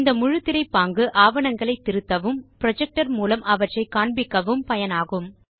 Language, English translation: Tamil, The full screen mode is useful for editing the documents as well as for projecting them on a projector